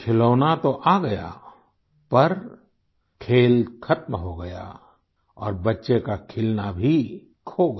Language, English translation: Hindi, The toy remained, but the game was over and the blossoming of the child stopped too